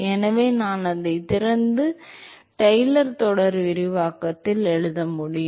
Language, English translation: Tamil, So, I can open it up and write it in Taylor series expansion